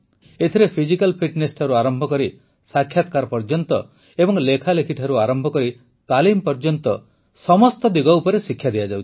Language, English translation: Odia, The training touches upon all the aspects from physical fitness to interviews and writing to training